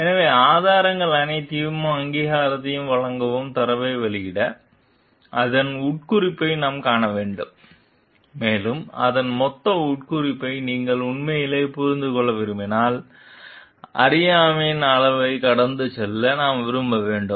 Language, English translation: Tamil, So, to publish the data without crediting all of the sources; we have to see the implication of it and if you want to really understand the total implication of it, we have to like go through the level of ignorance s also